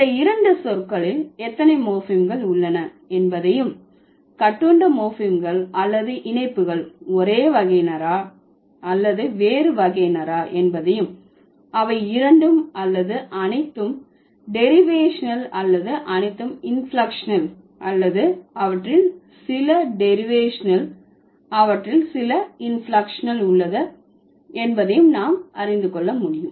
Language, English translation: Tamil, And these two words will find out how many morphemes are there and whether the morphemes like the bound morphemes or the fixes are of same category or different category, whether they are both or all derivational or all inflectional or some of them derivational, some of them are inflectional